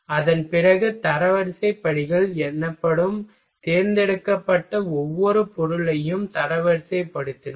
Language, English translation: Tamil, After that we ranked each selected material that is called ranking steps